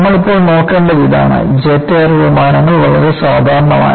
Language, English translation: Malayalam, See, what you will haveto look at is now, jet air planes are very common